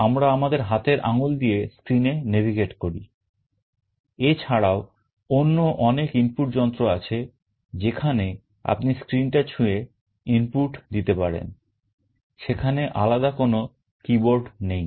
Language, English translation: Bengali, We use our fingers to navigate on the screen; there are many other input devices where you can touch the screen and feed our inputs; there is no separate keyboard